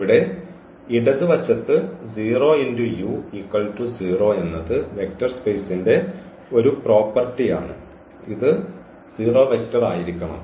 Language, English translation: Malayalam, So, 0 into u that is a property of the vector space this should be 0 vector then